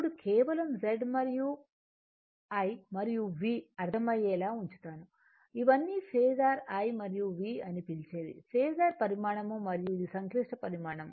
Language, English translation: Telugu, Now, we will put simply Z and I and V understandable these all are phasor your what you call I and V are phasor quantity and this is complex quantity right